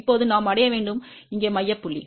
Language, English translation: Tamil, Now, we have to reach to the central point here